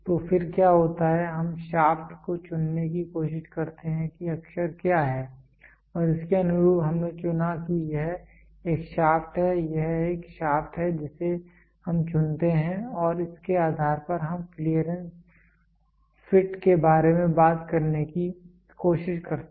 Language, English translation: Hindi, So, then what happens is we try to choose the shaft what is the what is the letter and corresponding to it we chose we this is a hole this is a shaft we choose and based on this we try to talk about the clearance fit